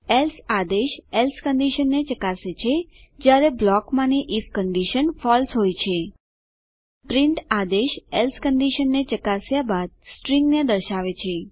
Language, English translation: Gujarati, else command checks else condition, when if condition in the block is false print command displays the string after checking the else condition